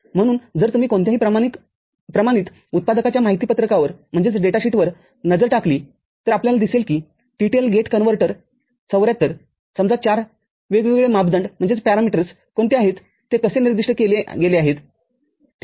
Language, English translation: Marathi, So, if you look at any standard manufacturers datasheet we shall see that how the TTL gate inverter 74 say, 04, what are the different parameters how that is been specified, ok